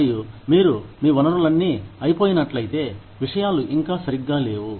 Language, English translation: Telugu, And, if you have exhausted, all your resources, things are still not gone well